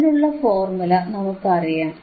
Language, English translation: Malayalam, Now what is the formula